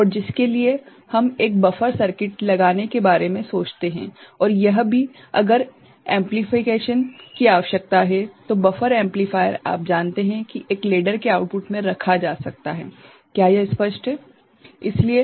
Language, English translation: Hindi, And, for which we think of putting a buffer circuit and also it will, if amplification is required so, buffer amplifier is you know, that can be put at the output of a ladder, is it clear